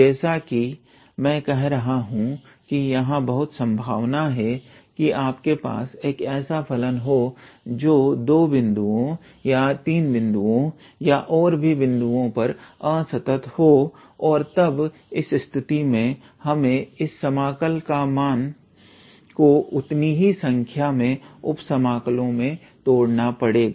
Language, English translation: Hindi, As I was saying there is a strong possibility you may have a function which is discontinuous at 2 points or 3 points and so on and then in that case we have to break this integral here into that many number of sub integrals